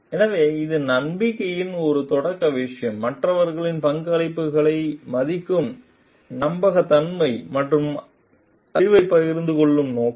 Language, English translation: Tamil, So, this is a beginner matter of trust, trustworthiness respecting others contribution and like intention to share the knowledge like